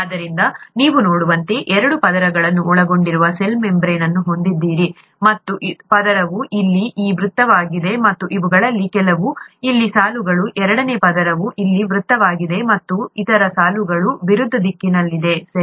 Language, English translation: Kannada, So you have the cell membrane consisting of two layers as you could see; the first layer is this circle here and some of these, the, lines here, the second layer is circle here and the other lines in the opposite direction, right